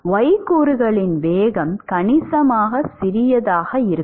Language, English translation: Tamil, The y component velocity itself is going to be significantly smaller